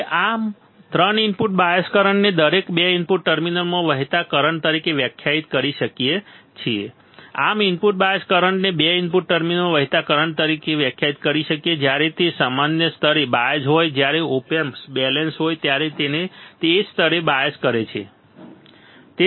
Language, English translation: Gujarati, Now, 3 thus the input bias current can be defined as the current flowing into each of the 2 input terminals, thus the input bias current can be defined as the current flowing into each of the 2 input terminals when they are biased at the same level when they are biased at the same level that is when the op amp is balanced, all right